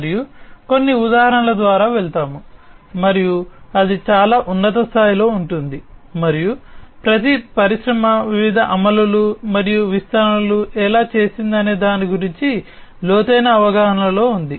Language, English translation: Telugu, We will go through some of the examples, and that will be at a very high level and each industry has its own in depth understanding about how it has done the different implementations and deployments and so on